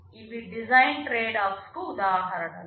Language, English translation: Telugu, These are examples of design tradeoffs